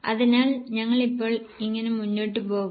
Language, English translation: Malayalam, So, how will you go ahead now